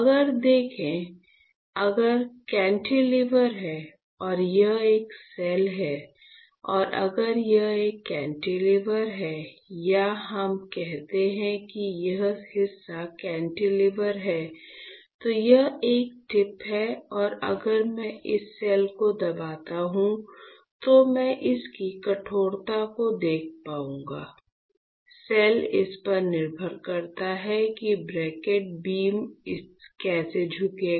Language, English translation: Hindi, If you see, if you have cantilever and if I if this is a cell right, and if this is a cantilever or let us say my hand this portion is cantilever, this is a tip and if I press this cell I will be able to see the stiffness of the cell depending on how my cantilever beam will bend